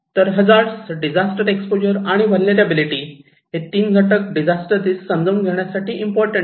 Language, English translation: Marathi, So, hazard, exposure and vulnerability these 3 components are important to understand disaster risk